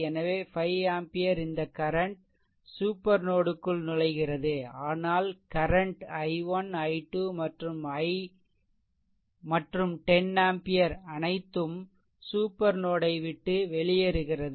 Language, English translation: Tamil, So, 5 this this current is entering to the supernode, but current i 1 i 2 and 10 ampere all are leaving the supernode